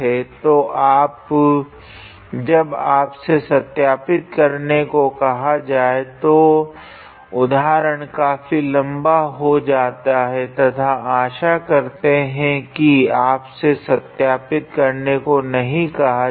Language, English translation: Hindi, So, when you are asked to verify that is when the examples becomes very lengthy and hopefully let us assume that still you will be not asked to verify